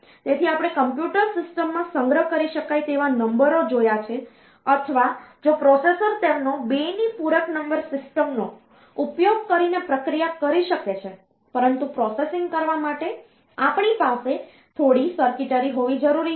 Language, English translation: Gujarati, So, we have seen the numbers they can be stored in the computer system or if the processor can process them using 2’s complement number system, but to for doing the processing, we need to have some circuitry